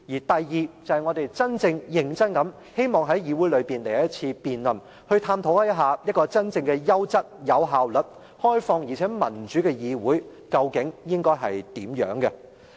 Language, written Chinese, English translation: Cantonese, 其二，我們認真地希望在議會來一次辯論，探討一個真正優質、有效率、開放而民主的議會，究竟應該是怎樣。, Second we earnestly hope that a debate on what a quality efficient open and democratic legislature should be could be held in this Council